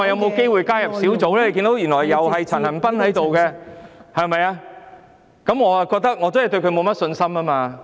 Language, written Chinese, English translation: Cantonese, 大家皆看到，原來由陳恒鑌議員當主席，我對他真的沒有信心。, As Members can see Mr CHAN Han - pan is actually its Chairman . Honestly I have no confidence in him